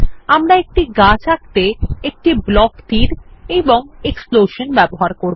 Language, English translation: Bengali, We shall draw a tree using a block arrow and a explosion